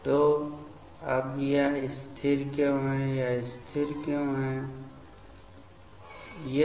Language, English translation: Hindi, So, now why this is stable; why this is stable; why this is stable